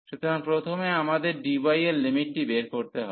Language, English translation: Bengali, So, first we have to fix the limits for dy